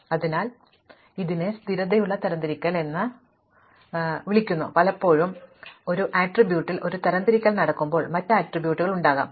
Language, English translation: Malayalam, So, this is called stable sorting that is if there was, so very often when you are sorting you are sorting on one attribute, but there may be other attributes